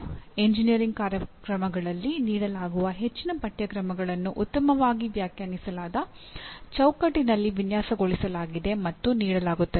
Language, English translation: Kannada, Most of the courses offered in engineering programs are designed and offered in a well defined frameworks, okay